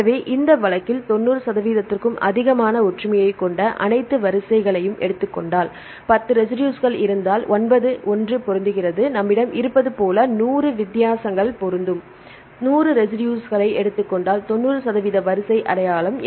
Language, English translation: Tamil, So, if we take the all the sequences which we have the similarity of more than 90 percent in this case if there are 10 residues nine will match one is different like we have 100 residues 90 will match and if we take the 100 residues if it is 90 percent sequence identity